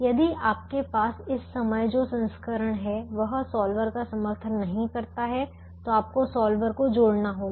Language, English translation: Hindi, if the version that you have at the moment does not support the solver, you have to add the solver into